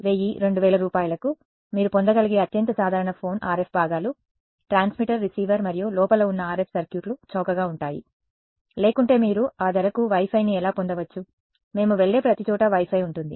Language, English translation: Telugu, The most ordinary phone you can get for 1000 2000 rupees that tells you that the RF components: the transmitter, receiver and the RF circuitry inside is cheap otherwise how could you get at that price Wi Fi every place we go to has a Wi Fi right and Wi Fi works at what frequency